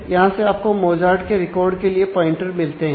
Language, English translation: Hindi, So, from here actually you get pointers to the; to the record for Mozart